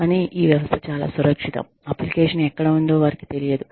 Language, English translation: Telugu, But, this system is so secure, that they do not know, where the application is